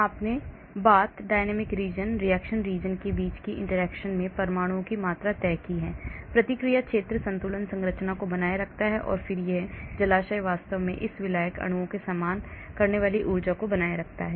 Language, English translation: Hindi, you have fixed amount of atoms here the interaction between the bath and the dynamic region, reaction region preserves the equilibrium structure and then this reservoir maintains the energies these solvent molecules face actually